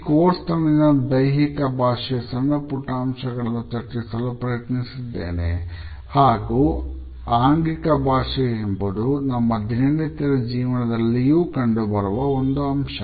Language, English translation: Kannada, During this course, I have attempted to delineate the nuance details of body language and body language is an omnipresent phenomenon of our daily professional life